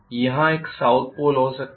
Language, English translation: Hindi, I may have a south pole here